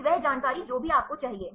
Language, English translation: Hindi, Then whatever that information do you need